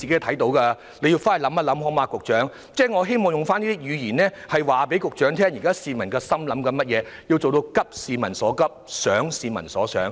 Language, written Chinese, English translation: Cantonese, 請局長日後仔細考慮，我希望告訴局長現在市民的心聲，讓他做到"急市民所急，想市民所想"。, I hope that the Secretary will carefully consider the matter in the future . I am telling him the aspirations of the people so that he can address peoples pressing needs and think what people think